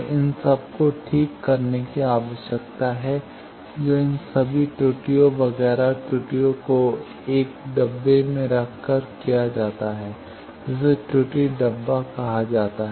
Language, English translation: Hindi, So, these needs to be corrected that is done by putting all these errors etcetera errors etcetera into a box that is called Error Box